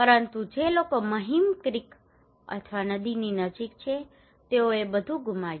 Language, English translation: Gujarati, But people who are close to the Mahim Creek or river they lost everything